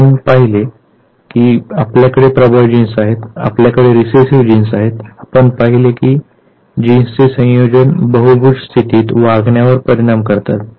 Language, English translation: Marathi, We have seen that we have the dominant genes, we have the recessive genes, we have seen how a combination of genes they affect the behavior in the polygenic state